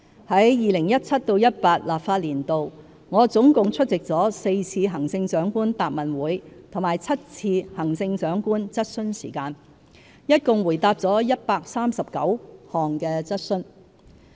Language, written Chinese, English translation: Cantonese, 在 2017-2018 立法年度，我總共出席了4次行政長官答問會和7次行政長官質詢時間，一共回答了139項質詢。, In the 2017 - 2018 legislative session I attended four Chief Executives QA Sessions and seven Chief Executives Question Times and responded to a total of 139 questions